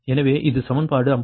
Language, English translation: Tamil, so this is equation fifty four